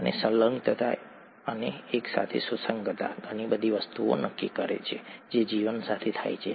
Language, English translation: Gujarati, And adhesion to and cohesion together, determine a lot of things that happen with life okay